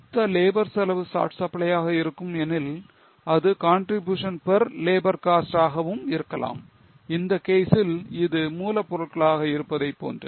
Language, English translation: Tamil, If total labour cost is in short supply, it can be contribution per labour cost, like in this case it was on raw material